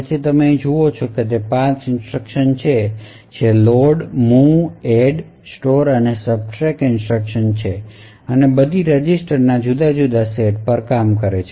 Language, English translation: Gujarati, So what you see here is 5 instructions they are the load, move, add, store and the subtract instruction and all of them work on different set of registers